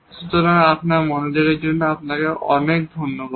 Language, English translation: Bengali, So, thank you very much for your attention